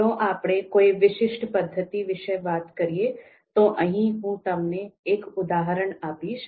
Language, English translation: Gujarati, So if we talk about a specific methods, so one example is given here